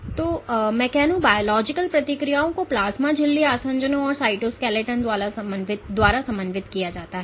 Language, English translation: Hindi, So, mechanbiological responses are coordinated by plasma membrane adhesions and the cytoskeleton